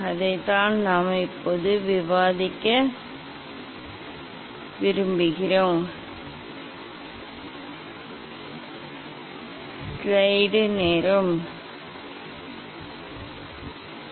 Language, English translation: Tamil, that is what I want to discuss now